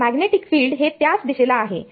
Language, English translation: Marathi, So, magnetic field anyway is in the same direction